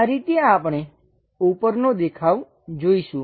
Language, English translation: Gujarati, This is the way we will see a top view